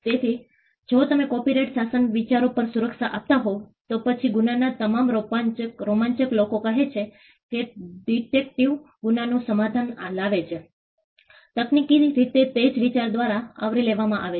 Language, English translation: Gujarati, So, you could if copyright regime were to grant protection on ideas, then all crime thrillers where say a detective solves a crime would technically fall within the category of covered by the same idea